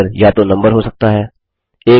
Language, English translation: Hindi, This can be either a letter or number